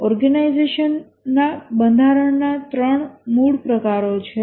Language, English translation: Gujarati, There are three basic types of organization structures